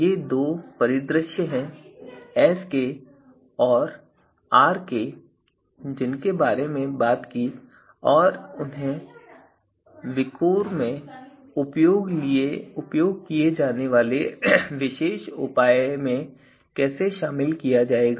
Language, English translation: Hindi, So, these are two scenarios the Sk and Rk that we talked about and how they are going to be incorporated in the in the particular measure that we are going to use in VIKOR